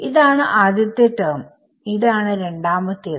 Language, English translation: Malayalam, So, what will the first term be